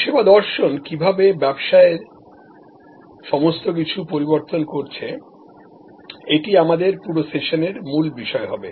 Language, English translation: Bengali, And how the service philosophy is changing businesses all across and that will be a core topic for our entire set of sessions